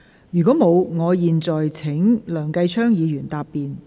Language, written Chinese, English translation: Cantonese, 如果沒有，我現在請梁繼昌議員答辯。, If no I now call upon Mr Kenneth LEUNG to reply